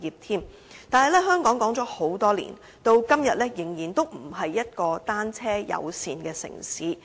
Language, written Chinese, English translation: Cantonese, 但是，香港說了很多年，時至今天仍然不是一個單車友善的城市。, But despite years of talk Hong Kong is still not a bicycle - friendly city as such even today